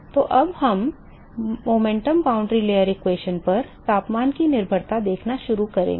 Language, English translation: Hindi, So, now, we will start seeing dependence of temperature on the momentum boundary layer equations